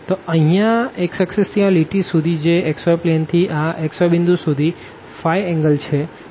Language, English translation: Gujarati, So, this here from the x axis to this line which is in the xy plane to this point xy 0 that is the angle phi